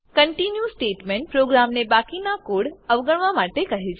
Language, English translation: Gujarati, The continue statement makes the program skip the rest of the loop